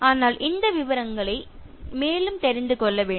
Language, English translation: Tamil, But in case, you need to know more in details